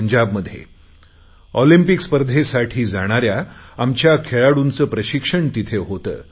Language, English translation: Marathi, where the sportspersons going for the Olympics are trained